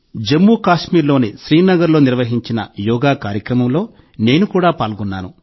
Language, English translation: Telugu, I also participated in the yoga program organized in Srinagar, Jammu and Kashmir